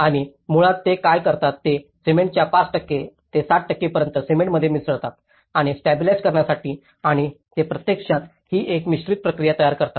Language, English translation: Marathi, And basically what they do is they actually prepare the mixture of this, mixing with the cement 5% to 7% of the cement and to stabilize it and then they actually this is a mould process